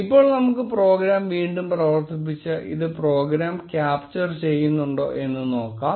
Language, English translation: Malayalam, Now let us run the program again and see if this gets captured by the program